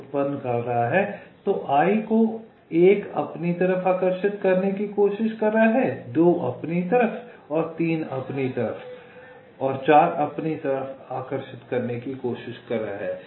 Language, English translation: Hindi, so one is trying to attract i toward itself, two is trying to attract i towards itself, three is trying to attract i toward itself and four is trying to attract i towards itself